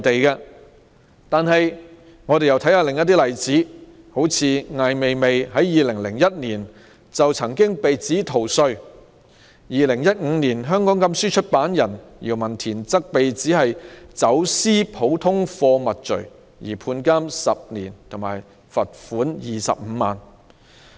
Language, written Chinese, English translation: Cantonese, 讓我們看看另一些例子，艾未未在2001年被指逃稅被罰款25萬元、2015年香港禁書出版人姚文田被指"走私普通貨物罪"被判監10年。, Let us consider some other examples . AI Weiwei was fined RMB250,000 in 2001 for tax evasion . In 2015 YAO Wentian a publisher of banned books in Hong Kong was sentenced to 10 years imprisonment for smuggling ordinary goods